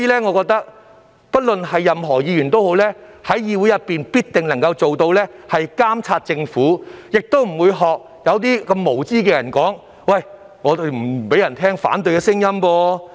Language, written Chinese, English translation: Cantonese, 我認為，任何一位議員也必定能在議會監察政府，只有那些無知的人，才會說立法會不想聽到反對聲音。, In my opinion it is for sure that in this Council every Member is bound to monitor the Government . Only ignorant people would say that the Council wanted to get rid of the voice of dissent